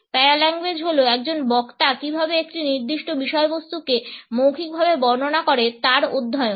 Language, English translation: Bengali, Paralanguage is the study of how a speaker verbalizes a particular content